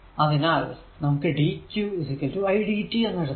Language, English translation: Malayalam, So, in general we can write that dq is equal to i dt